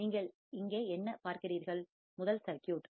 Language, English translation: Tamil, What do you see here is the first circuit